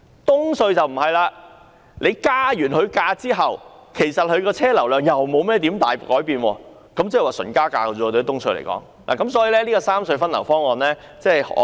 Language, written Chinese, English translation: Cantonese, 東隧則不然，增加收費後，車流量又不會有甚麼改善，所以只是純粹加價，因此，我很難支持三隧分流方案。, Yet this outcome will not apply to EHC . After the toll increase traffic flow will not have any improvement so it is simply a matter of increasing the toll . Thus it is very hard for me to support the proposal of the rationalization of traffic distribution among the three RHCs